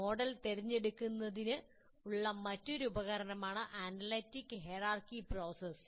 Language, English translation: Malayalam, Analytic hierarchy process is another one, there is a tool based on that for decision making